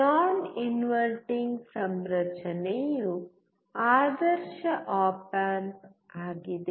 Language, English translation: Kannada, Non inverting configuration is the ideal op amp